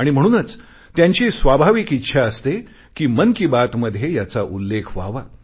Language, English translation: Marathi, And therefore it is their natural desire that it gets a mention in 'Mann Ki Baat'